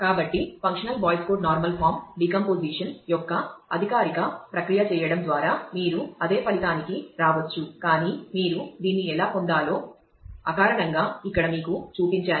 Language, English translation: Telugu, So, you can you could come to the same result by doing the formal process of functional Boyce Codd normal form decomposition, but I have just shown you here as to intuitively how you get this